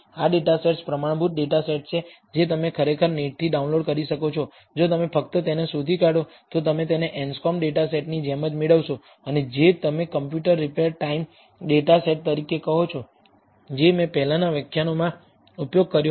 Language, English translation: Gujarati, These data sets are standard data sets that you can actually download from the net, if you just search for it, you will get it just like the Anscombe data set, and the and the what you call computer repair time data set that I have been using in the previous lectures